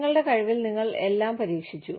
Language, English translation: Malayalam, You tried everything in your capacity